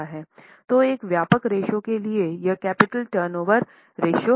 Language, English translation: Hindi, So, a comprehensive ratio for this is capital turnover ratio